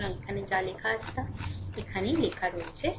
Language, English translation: Bengali, So, that is what is written there what is written here right